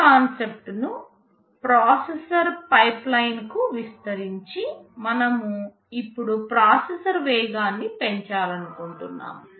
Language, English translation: Telugu, Extending the concept to processor pipeline, we want to increase the speed of a processor now